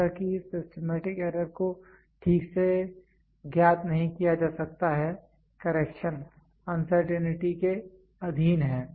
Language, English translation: Hindi, As this systematic error cannot be known exactly so, correction is subjected to the uncertainty